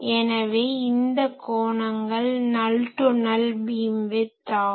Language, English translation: Tamil, So, this angles are null to null beamwidth